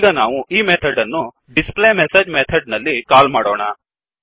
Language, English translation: Kannada, Let us call this method in the displayMessage method